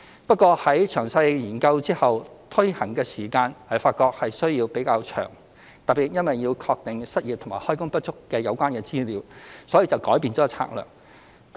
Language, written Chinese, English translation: Cantonese, 不過在詳細研究後，發覺推行的時間需要較長，特別因為要確定失業及開工不足的有關資料，所以就改變策略。, Yet we realize after a detailed study that a longer time will be required to implement this measure especially because we need to ascertain the relevant information about unemployment and underemployment so we have changed our strategy accordingly